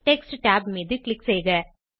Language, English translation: Tamil, Next click on Text tab